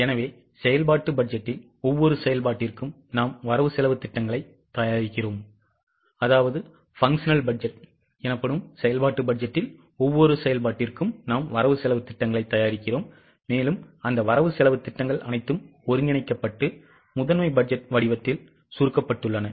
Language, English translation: Tamil, So, in the functional budget, we prepare budgets for each function and all those budgets are consolidated and summarized in the form of a master budget